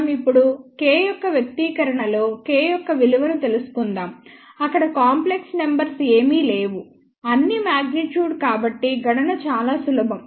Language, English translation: Telugu, Now, let us find out the value of K in the expression of K there are no complex numbers all are magnitude so, the calculation is relatively simple